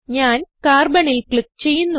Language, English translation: Malayalam, I will close the Carbon window